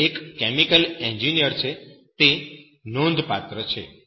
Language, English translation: Gujarati, is a Chemical engineer, is remarkable